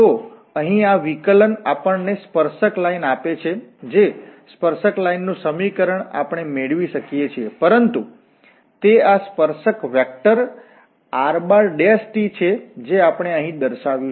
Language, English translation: Gujarati, So, this derivative here is exactly gives us the tangent, the equation of the tangent we can also get, but this is the tangent vector r prime t which we have denoted here